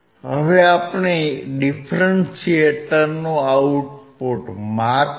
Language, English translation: Gujarati, Now, we are measuring the output of the differentiator